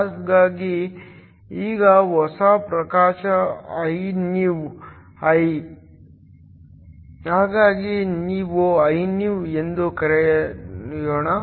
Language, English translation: Kannada, So, now the new illumination Inew; so let me call it Iphnew